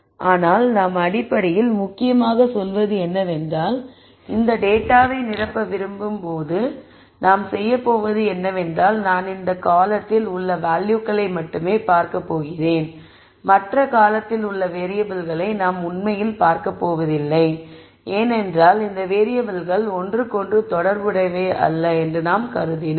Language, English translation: Tamil, But basically what we are a essentially saying is when I want to fill this data all I am going to do is I am going to look at the values only in this column and I am not really going to look at values in the other columns because I have assumed that these variables are not related to each other